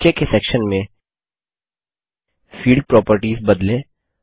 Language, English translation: Hindi, Change the Field Properties in the bottom section